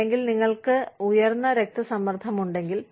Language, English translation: Malayalam, Or, if you have high blood pressure